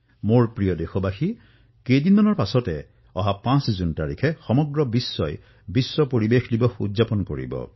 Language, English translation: Assamese, a few days later, on 5th June, the entire world will celebrate 'World Environment Day'